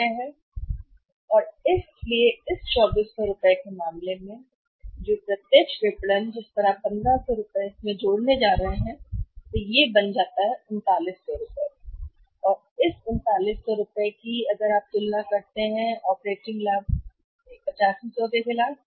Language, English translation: Hindi, So, here how much we have here this of operating profit is 2400, so in this 2400 rupees in case of direct marketing if you are going to add this 2400 rupees into this 1500 also so this is becoming how much 3900 and this is 3900, now if you compare this that is 3900 is the operating profit against 8500